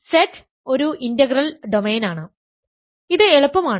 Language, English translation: Malayalam, So, Z is an integral domain, this is easy